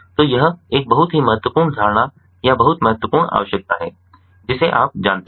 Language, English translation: Hindi, so this is a very important, ah you know assumption, or a very important requirement, ah, that you know